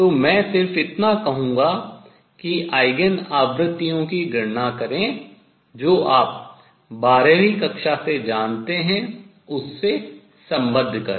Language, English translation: Hindi, So, I will just say calculate Eigen frequencies and connect with what you know from twelfth grade